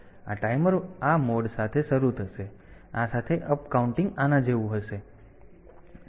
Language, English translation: Gujarati, So, this timer will start with this mode, with and this the upcounting will be like this